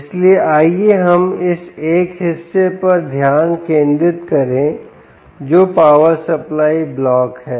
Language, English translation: Hindi, so lets concentrate on this one portion, which is the power supply block